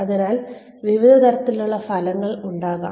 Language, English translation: Malayalam, So, various types of outcomes could be there